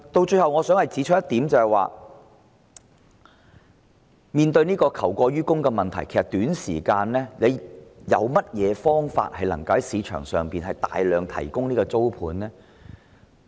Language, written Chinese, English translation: Cantonese, 最後我想指出的一點，是面對求過於供的問題，其實有何方法於短時間內在市場上提供大量租盤呢？, Lastly I wish to point out that as regards the problem of excess demand indeed is there any way to provide a large number of rental units in the market within a short period of time?